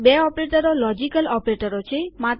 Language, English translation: Gujarati, Two operators that are logical operators